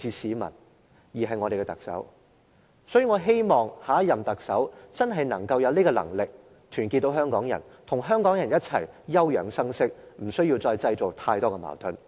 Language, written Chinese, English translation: Cantonese, 所以，我希望下一任特首真正有能力團結香港人，與香港人一起休養生息，不要再製造太多矛盾。, I therefore hope that the next Chief Executive can really unite all Hong Kong people and let them recuperate instead of stirring up any more conflicts